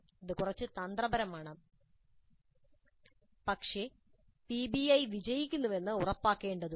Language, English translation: Malayalam, This is somewhat tricky but it is required to ensure that PBI becomes successful